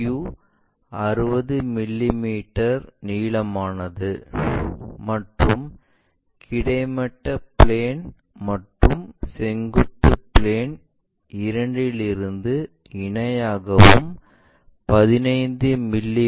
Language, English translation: Tamil, PQ is 60 millimeter long and is parallel to and 15 mm from both horizontal plane and vertical plane